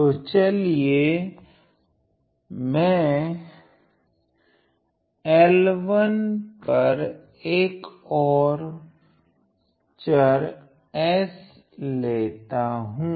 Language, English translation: Hindi, So, on L 1 let me choose my variable s